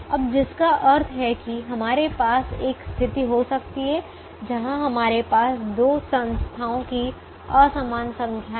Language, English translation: Hindi, can now, which means, can we have a situation where we have an unequal number of the two entities